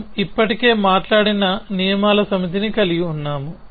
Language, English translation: Telugu, We already have a set of rules that we have spoken about